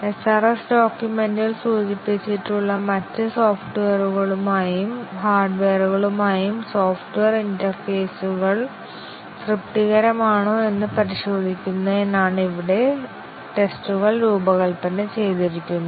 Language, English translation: Malayalam, Here the tests are designed to test, whether the software interfaces with other software and hardware as specified in the SRS document satisfactorily